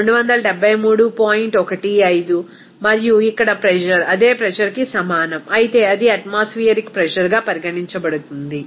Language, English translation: Telugu, 15 and then pressure is here the same pressure, it is considered the pressure that is atmospheric pressure